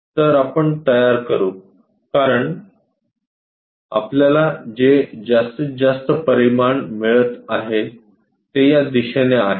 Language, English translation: Marathi, So, let us construct because maximum dimensions what we are getting is from this direction